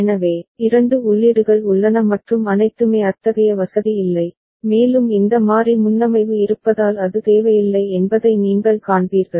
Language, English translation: Tamil, So, there is no such facility available that two inputs are there and all and you will see that it is not required because of this variable preset that is there